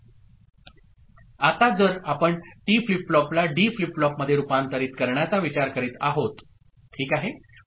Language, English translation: Marathi, Now, if we are looking at converting T flip flop to a D flip flop ok